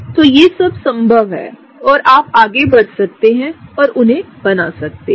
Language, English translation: Hindi, So, all of these are possible and you can go ahead and draw them